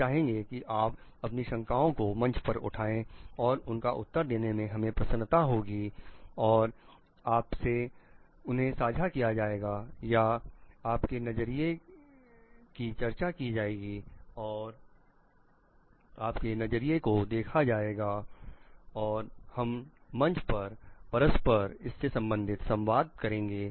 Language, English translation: Hindi, We will like encourage you to put your queries in the forum which will be happy to answer and again share with you or discuss with your views get your viewing views from you and we will be interacting in the forum